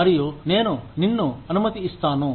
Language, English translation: Telugu, And, I will let you, be